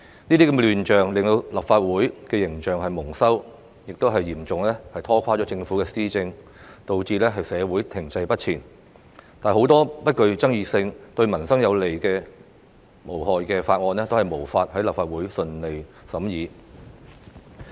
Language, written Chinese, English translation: Cantonese, 這些亂象令立法會形象蒙羞，亦嚴重拖垮政府施政，導致社會停滯不前，很多不具爭議性、對民生有利無害的法案也無法在立法會順利審議。, Such chaotic scenes have tarnished the image of the Legislative Council seriously obstructed the governance of the Government caused stagnation of our society and made it impossible for this Council to scrutinize without hindrance many non - controversial bills that were beneficial to peoples livelihood